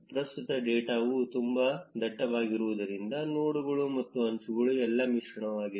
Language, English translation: Kannada, Currently, because the data is very dense, the nodes and edges are all mixed up